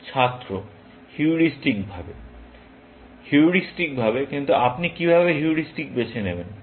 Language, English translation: Bengali, Student: Heuristically Heuristically, but how do you choose that heuristically